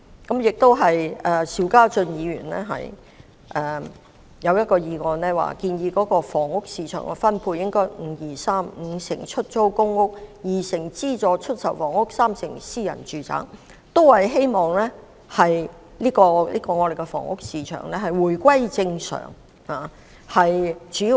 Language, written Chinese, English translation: Cantonese, 至於邵家臻議員提出的議案，他建議房屋市場分配應為 "5-2-3"， 即五成為出租公屋、二成為資助出售房屋，三成為私人住宅，希望藉此讓香港的房屋市場回復正常。, As for the motion moved by Mr SHIU Ka - chun he suggested that the distribution of the housing market should be 5 - 2 - 3―50 % public rental housing PRH 20 % subsidized sale housing and 30 % private residential housing―in the hope that the housing market can return to normal